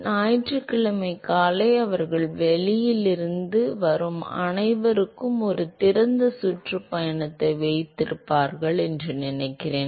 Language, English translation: Tamil, I think Sunday mornings they have a an open tour for all the people from outside